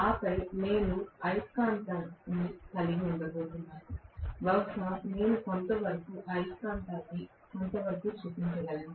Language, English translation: Telugu, And then I am going to have the magnet, probably I can show the magnet somewhat like this